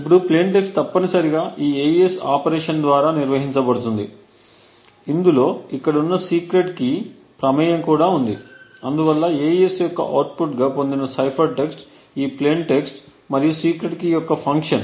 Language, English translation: Telugu, Now the plain text essentially is operated on by this AES operation, there is a secret key that is also involved and therefore the cipher text which is obtained as the output of AES is a function of this plain text over here and the secret key